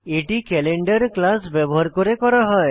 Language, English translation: Bengali, This is done using the class Calendar